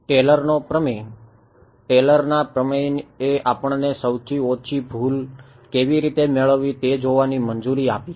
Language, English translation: Gujarati, Taylor’s theorem; Taylor’s theorem allowed us to see how to get the lowest error right